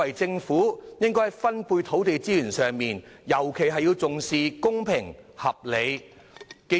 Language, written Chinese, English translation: Cantonese, 在分配土地資源的時候，政府尤其應重視公平和合理。, In allocating land resources the Government attaches great importance to fairness and reasonableness in particular